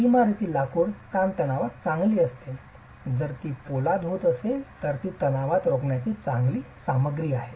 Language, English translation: Marathi, The timber being good in tension, if it is going to be steel, that also is a good material that is good in resisting tension